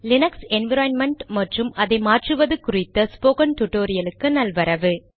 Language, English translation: Tamil, Welcome to this spoken tutorial on the Linux environment and ways to manupulate it